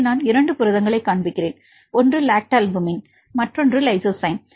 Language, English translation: Tamil, Here I show 2 proteins one is the lactalbumin and lysozyme, they are from different families